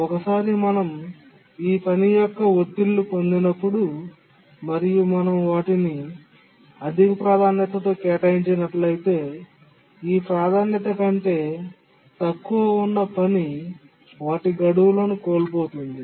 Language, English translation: Telugu, And once we get bursts of this task, if we assign, we have assigned higher priority to these tasks, then the tasks that are lower than this priority would miss deadlines